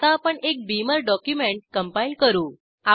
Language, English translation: Marathi, Now let us compile a Beamer document